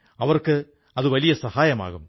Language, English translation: Malayalam, This will be a big help to them